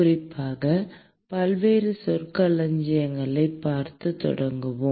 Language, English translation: Tamil, In particular, we will start by looking at various terminologies